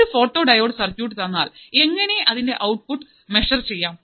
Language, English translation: Malayalam, So, if you are given a photodiode, how can you measure the output